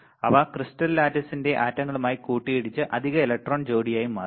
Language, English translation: Malayalam, They collide with the atoms of the crystal lattice to form additional electron pair